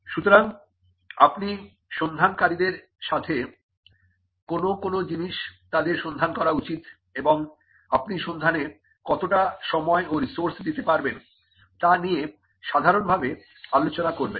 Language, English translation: Bengali, So, you would normally discuss with the searcher as to what are the things that the searcher should look for, and what is the time and resources that you will be putting into the search